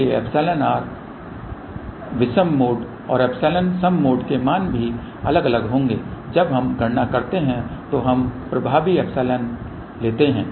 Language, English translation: Hindi, So, epsilon odd mode and epsilon even mode values will be different ok whereas, when we do the calculation we take epsilon effective